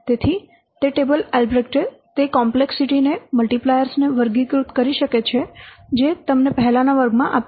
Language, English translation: Gujarati, So that table albred that complexity classifiers, the multipliers we have already given you in the last class